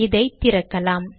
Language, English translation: Tamil, Let me open it here